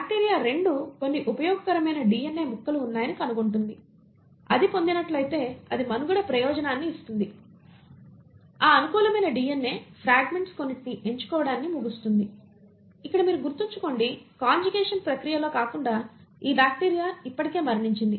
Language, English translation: Telugu, The bacteria 2 finds there are a few useful pieces of DNA which if it acquires will give it a survival advantage, it ends up picking a few of those favourable DNA fragments; mind you here, this bacteria has already died unlike in the process of conjugation